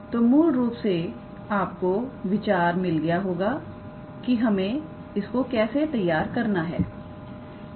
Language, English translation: Hindi, So, you basically you got the idea how; how you formulate